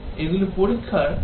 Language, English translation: Bengali, These are the different levels of testing